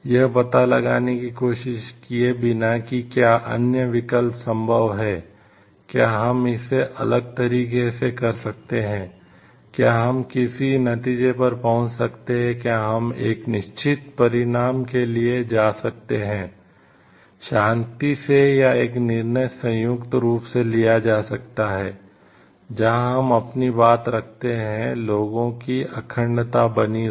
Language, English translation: Hindi, Without trying to find out whether other alternatives are possible or not, whether we can do it in a different, whether we can arrive at certain outcomes, whether we can whether we can go for a certain outcomes, peacefully like or a decision jointly taken respected, where we keep to our words where the integrity of the people are maintained